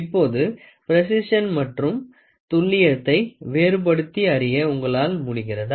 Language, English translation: Tamil, Now, you will be able to distinguish what is accurate and precision, right